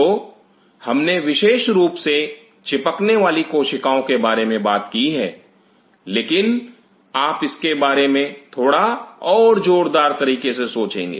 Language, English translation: Hindi, So, we have exclusively talked about the adhering cells, but just if you think of its little bit louder on this